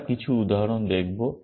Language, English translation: Bengali, We will look at some examples